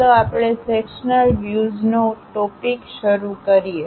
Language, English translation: Gujarati, Let us begin our sectional views topic